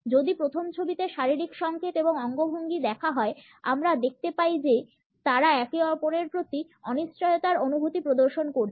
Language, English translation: Bengali, If you look at the body signal gestures and postures in the first photograph, we find that they exhibit a sense of uncertainty towards each other